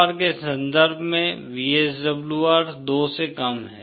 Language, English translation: Hindi, In terms of VSWR that translates to VSWR lesser than 2